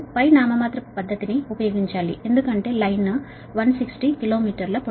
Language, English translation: Telugu, you have to use nominal pi method because line is one sixty kilo meter long, right